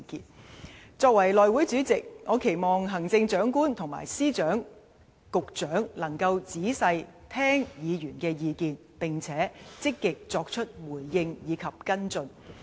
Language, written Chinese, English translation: Cantonese, 作為內務委員會主席，我期望行政長官和各司、局長能夠仔細聽取議員的意見，並積極作出回應及跟進。, As the House Committee Chairman I hope that the Chief Executive and all Secretaries of Departments and Directors of Bureaux can listen carefully to the views of Members and respond accordingly by actively taking follow - up action